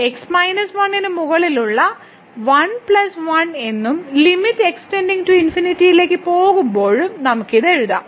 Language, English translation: Malayalam, So, which we can write down as 1 plus 1 over minus 1 and when limit goes to infinity